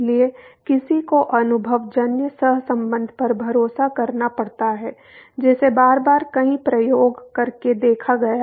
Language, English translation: Hindi, So, one has to rely on the empirical correlation which has been observed by performing repeatedly several experiments